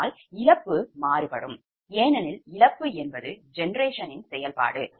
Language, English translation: Tamil, load is fixed, but loss will vary, right, because loss is a function of generation